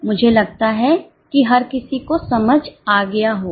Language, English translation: Hindi, I think everybody would have got